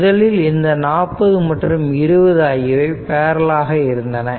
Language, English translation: Tamil, This 20 and 40 they are in parallel right